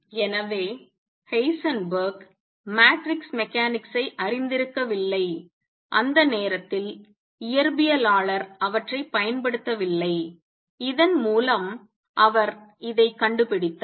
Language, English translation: Tamil, So, Heisenberg did not know matrix mechanics at that time physicist did not use them he discovered this through this